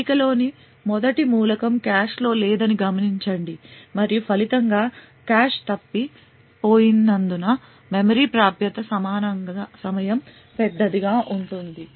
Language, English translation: Telugu, Notice that the first element in the table is not present in the cache and as a result the memory access time would be large due to the cache misses